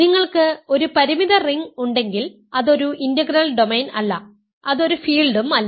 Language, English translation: Malayalam, If you have a finite ring that is not an integral domain also it is not a field ok